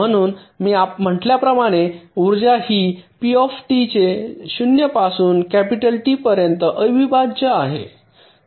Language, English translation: Marathi, so energy, as i said, is the integral of pt from zero to capital t